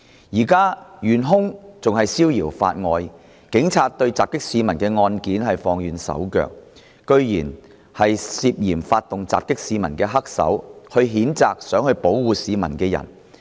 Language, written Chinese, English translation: Cantonese, "現時，元兇仍然逍遙法外，警察對襲擊市民的案件放軟手腳，竟然是涉嫌發動襲擊市民的黑手譴責想保護市民的人。, At present the assailants are still at large and the Police have been slack on this case of assault on civilians . It is hard to believe that the suspected mastermind of this attack on civilians can censure the person who protected people